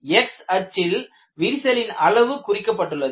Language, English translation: Tamil, You have on the x axis crack size is plotted